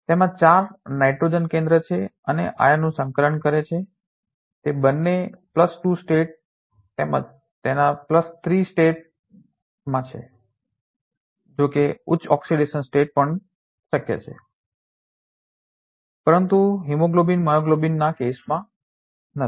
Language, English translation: Gujarati, It has four nitrogen centers which is coordinating the iron both is in +2 state as well as its +3 state, of course higher oxidation states are also possible, but not in hemoglobin myoglobin cases